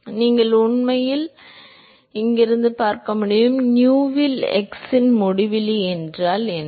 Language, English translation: Tamil, So, you can actually see that there is; what is uinfinity by nu into x